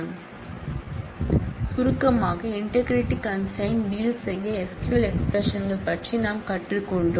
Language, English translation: Tamil, So, in summary, we have learnt about SQL expressions to deal with integrity constraints